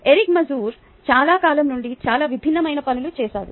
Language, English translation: Telugu, eric mazur has done very many different things for a very long time